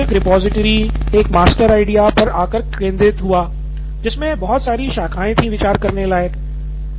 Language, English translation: Hindi, And eventually all this boiled down to a repository, master idea and of which the lot of branching going on